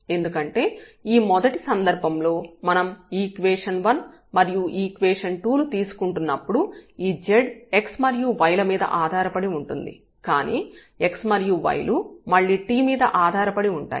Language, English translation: Telugu, Because in this first case when we are taking equation number 1 and equation number 2 then this z depends on x and y, but the x and y again depends on t